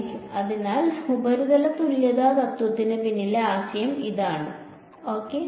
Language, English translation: Malayalam, So, that is the idea behind the surface equivalence principle ok